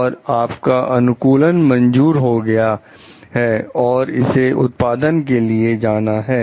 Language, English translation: Hindi, Your design is then approved and it is about to go to production